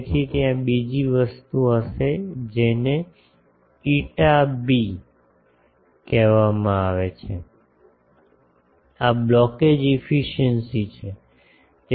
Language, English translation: Gujarati, So, there will be another thing which is called eta b this is blockage efficiency